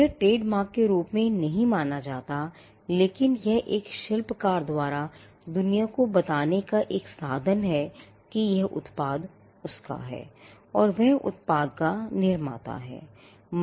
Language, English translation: Hindi, Now, again this was meant not as a trademark, but it was meant as a means for a craftsman to tell the world that a product belongs to him or he was the creator of the product